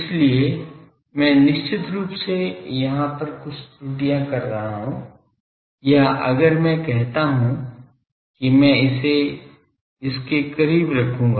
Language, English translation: Hindi, So, I am definitely committing some errors at this ends or if I say that I will approximate it by this one